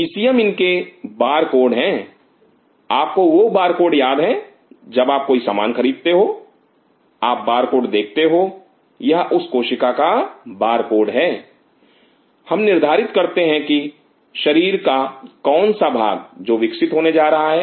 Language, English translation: Hindi, ECM is their barcode you remember the barcode whenever you buy a material, you see the barcode it is the barcode of that cell we decide which part of the body it is going grow